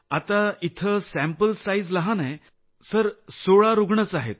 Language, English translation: Marathi, Here the sample size is tiny Sir…only 16 cases